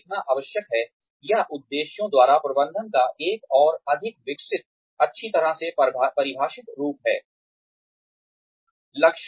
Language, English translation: Hindi, It is essential to write down, it is a more well developed, well defined, form of management by objectives